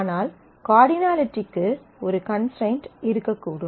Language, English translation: Tamil, There could be a constraint on the cardinality